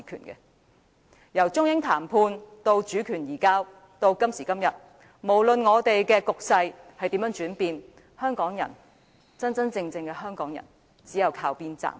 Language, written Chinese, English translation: Cantonese, 由中英談判到主權移交，到了今時今日，不論局勢如何轉變，真正的香港人只有靠邊站。, From the Sino - British negotiations to the handover of sovereignty and up to the present moment no matter how the circumstances have changed the real people of Hong Kong could only watch on the sidelines